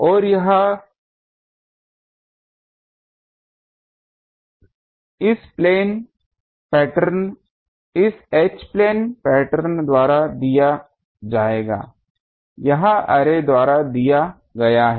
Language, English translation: Hindi, And these will be given by this H plane pattern this is given by array